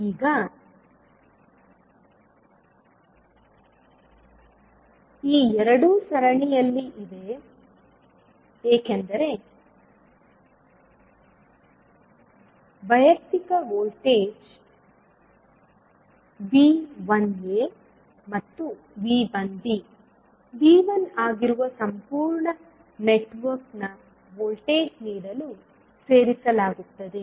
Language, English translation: Kannada, Now, these two are in series because the individual voltages that is V 1a and V 1b add up to give the voltage of the complete network that is V 1